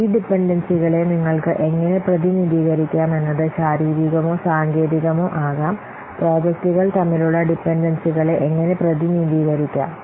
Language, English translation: Malayalam, So this dependency diagram can be used to represent the physical and the technical dependencies between the different projects